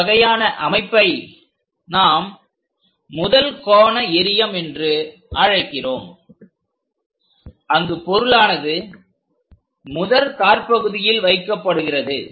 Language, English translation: Tamil, This kind of representation what we call first angle projection system where the object is placed in the first coordinate